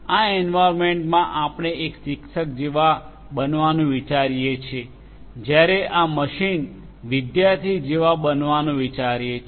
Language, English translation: Gujarati, You have this environment this environment we can think of to be like a teacher whereas, this machine we can think of to be like a student like a student